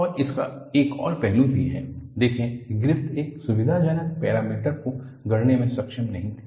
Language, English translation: Hindi, And, there is also another aspect; see Griffith was not able to coin in a convenient parameter